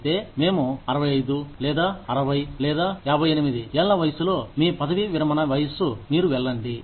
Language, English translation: Telugu, But then, when we are 65, or 60, or 58, whatever, your retirement age, you is, you go